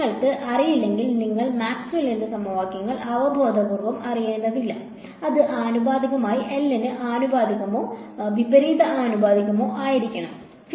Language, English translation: Malayalam, If you did not know you do not need to know Maxwell’s equations intuitively, should it depend proportional to be proportional to L or inversely proportional to L